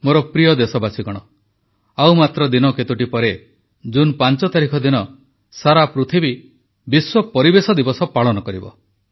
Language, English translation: Odia, a few days later, on 5th June, the entire world will celebrate 'World Environment Day'